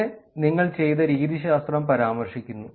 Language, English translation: Malayalam, And then you quickly mention about the methodology that you did